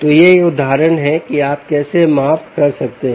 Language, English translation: Hindi, so this is one example of how you can make a measurement